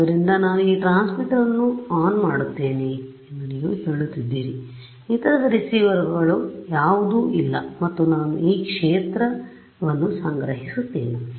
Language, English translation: Kannada, So, you are saying that I keep this transmitter on, none of the other receivers are there and I just collect this field